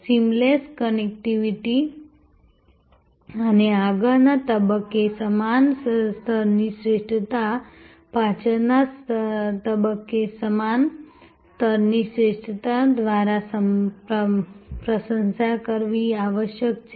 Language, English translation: Gujarati, The seamless connectivity and the same level of excellence at the front stage must be complimented by that same level of excellence at the back stage